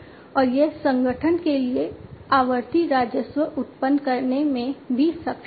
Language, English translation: Hindi, And it is also capable of generating recurrent revenues for the organization